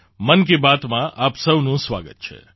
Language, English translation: Gujarati, A warm welcome to all of you in 'Mann Ki Baat'